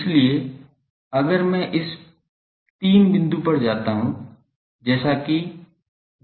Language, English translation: Hindi, So, if I go up to this 3 point like where 0